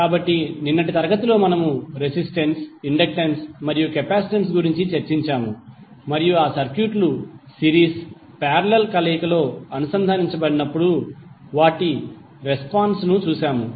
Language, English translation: Telugu, So yesterday in the class we discussed about the resistance, inductance and capacitance and we saw the response of those circuits when they are connected in series, parallel, combination